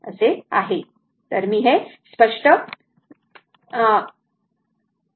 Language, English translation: Marathi, So, let me clear this